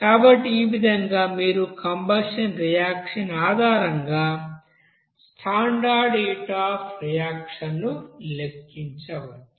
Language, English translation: Telugu, So this one in this way you can you know calculate the standard heat of reaction based on the combustion reaction